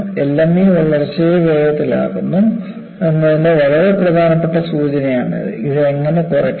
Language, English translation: Malayalam, This is a very significant signal of that the growth is precipitated by LME, and how you can minimize this